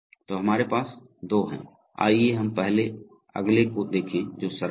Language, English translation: Hindi, So we have the two, let us first look at the next one which is simpler